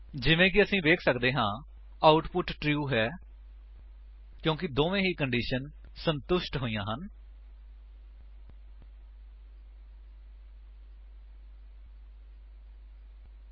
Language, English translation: Punjabi, As we can see, the output is true because both the conditions are satisfied